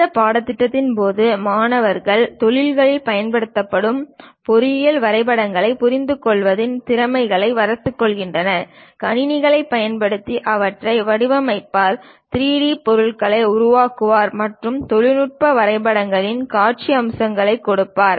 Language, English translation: Tamil, So, during this course, the student will develop skills on understanding of engineering drawings used in industries, how to design them using computers and develop 3D objects, having visual aspects of technical drawings, these are the objectives of our course